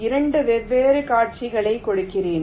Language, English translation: Tamil, here let me give two different scenarios